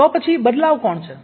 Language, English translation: Gujarati, who are the changes then